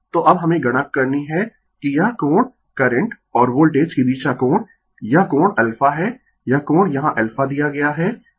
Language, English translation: Hindi, So, now, we have to , compute that this this angle angle between current and Voltage this angle is alpha this angle is given here alpha